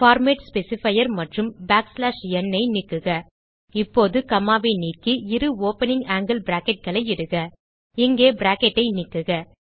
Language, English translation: Tamil, Delete the format specifier and back slash n, now delete the comma and type two opening angle brackets Delete the bracket here